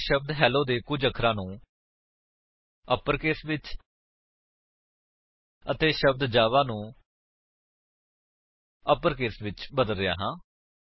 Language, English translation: Punjabi, Im changing a few characters of the word Hello to upper case and of the word java to uppercase